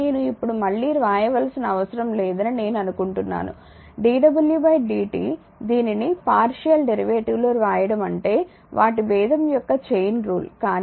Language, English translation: Telugu, I think I need not write it again now it is understandable that, dw by dt we write it in partial derivative that your chain chain rule of their differentiation rather, but dw by dq into dq by dt